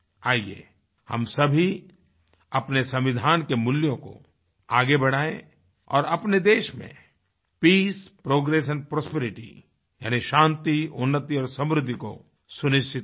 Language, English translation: Hindi, Let us all take forward the values enshrined in our Constitution and ensure Peace, Progress and Prosperity in our country